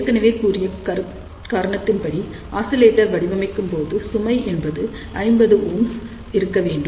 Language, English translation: Tamil, The reason for that is invariably when we design an oscillator, we always say that the load will be equal to 50 ohm